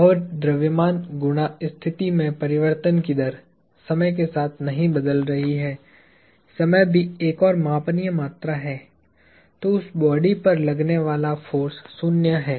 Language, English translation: Hindi, And, if the mass times the rate of change of position is not changing with time; time is also another measurable quantity; then, the force acting on that body is zero